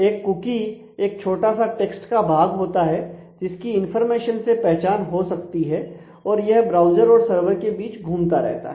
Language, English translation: Hindi, So, a cookie is a small piece of text which contain information which is identifying and which can go back and forth between the browser and the server